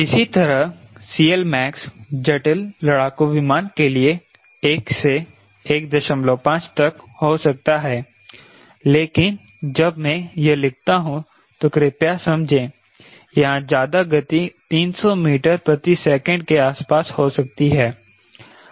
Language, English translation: Hindi, similarly, c l max could be one to one point five for complex fighter airplane complex fighter aircraft but when i write this, please understand where at high speed may be on three hundred meter per second